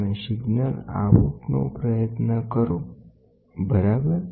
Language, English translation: Gujarati, Then, you try to get the signal out, ok